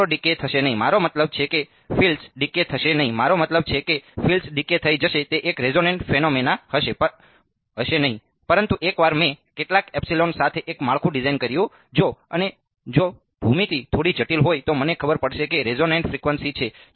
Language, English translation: Gujarati, Nothing will happen right the fields will not decay I mean the field will not decay I mean the field will decay off it will not be a resonate phenomena, but once I designed a structure with some epsilon if the and if the geometry slightly complicated I would know what the resonate frequency is